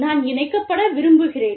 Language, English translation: Tamil, I want to be connected